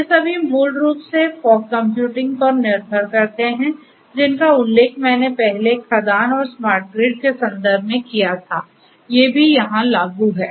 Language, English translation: Hindi, So, all of these basically fog computing for the reasons that I mentioned earlier in the context of mine and smart grid these are also applicable here